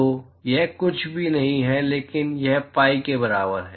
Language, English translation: Hindi, So, that is nothing, but that is equal to pi